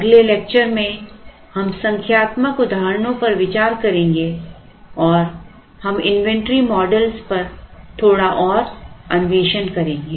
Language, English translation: Hindi, In the next lecture we will consider numerical examples and we explore a little further on inventory models